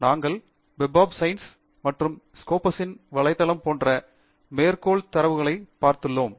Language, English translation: Tamil, We have looked at Citation Databases such as Web of Science and Scopus from where we will be getting the list of references